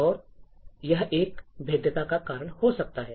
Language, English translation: Hindi, And, this could be a reason for a vulnerability